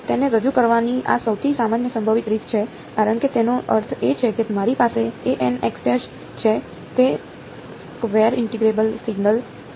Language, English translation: Gujarati, This is the most general possible way of representing it because it is I mean square integrable signal that I have ok